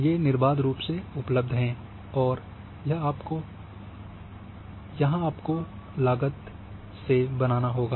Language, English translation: Hindi, These are freely available this you have to create, this is at cost